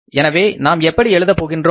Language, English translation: Tamil, So how we would write here